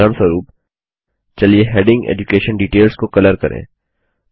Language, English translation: Hindi, For example, let us color the heading EDUCATION DETAILS